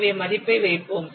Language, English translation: Tamil, So let's put the value